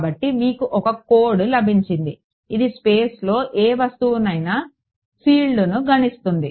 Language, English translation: Telugu, So, you have got this code you have written which calculates the field at any point in space